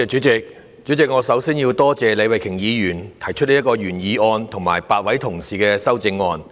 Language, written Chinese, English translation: Cantonese, 主席，我首先要多謝李慧琼議員的原議案，以及8位同事的修正案。, President I must first express my gratitude for Ms Starry LEEs original motion and the amendments proposed by eight Members